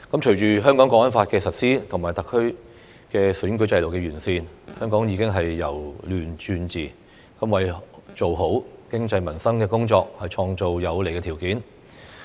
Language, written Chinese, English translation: Cantonese, 隨着《香港國安法》的實施和特區選舉制度的完善，香港已由亂轉治，為做好經濟民生工作創造有利條件。, With the implementation of the National Security Law and improvement to the SARs electoral system chaos has ended and social order has been restored in Hong Kong creating favourable conditions for the work of the economy and peoples livelihood